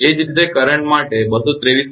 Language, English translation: Gujarati, Similarly, for the current that 223